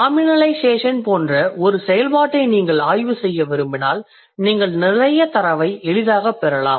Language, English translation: Tamil, If you want to study a function like nominalization, you might get a lot of data easily